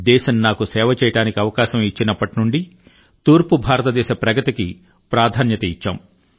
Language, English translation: Telugu, Ever since the country offered me the opportunity to serve, we have accorded priority to the development of eastern India